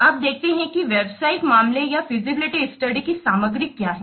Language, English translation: Hindi, Now let's see what are the contents of a business case or feasibility study